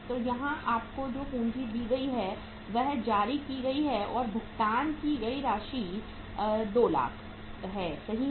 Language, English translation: Hindi, So what is the capital given to you here is issued and paid up capital is 200,000 right